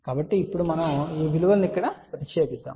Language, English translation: Telugu, So, now, we substitute this value over here